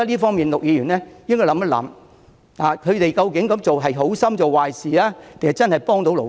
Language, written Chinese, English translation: Cantonese, 就此，陸議員等人應該反思，他們究竟是好心做壞事，還是真正在協助勞工？, On this point labour representatives including Mr LUK should reflect on whether they are genuine helping workers or doing a disservice out of good intentions